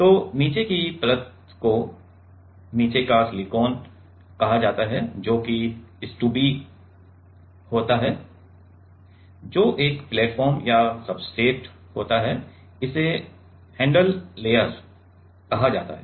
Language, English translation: Hindi, So, the bottom layer is called bottom silicon is called that is stubby that is a platform or the substrate, this is called handle layer ok